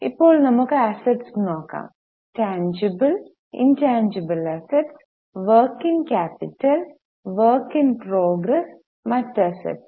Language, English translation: Malayalam, Now let us go to assets, tangible, intangible assets, capital work in progress, other assets